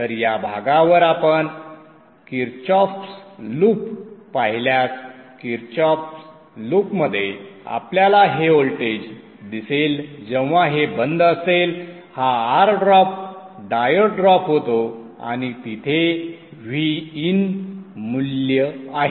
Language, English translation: Marathi, So if you look at the Kirchav's loop along this, along this path, the Kirchav's loop, you will see the voltage that you see across this when this is off is this R drop, diode drop and the VIN value there